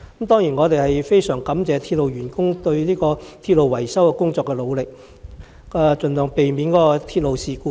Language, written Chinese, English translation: Cantonese, 當然，我們非常感謝鐵路員工對鐵路維修工作的努力，盡量避免發生鐵路事故。, Of course we are very grateful to the railway staff for their efforts in railway repairs with a view to avoiding any railway incident